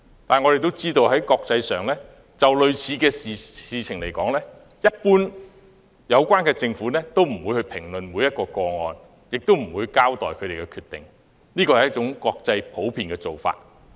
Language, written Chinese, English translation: Cantonese, 但是，我亦知道，就類似事情來說，有關政府一般不會評論每一宗個案或交代他們的決定，這是國際的普遍做法。, However I am aware that as an international practice governments generally refrain from commenting on individual cases and explaining their decisions